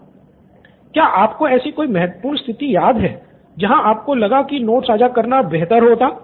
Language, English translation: Hindi, Can you remember of any important situation where you felt sharing of notes would have been really nice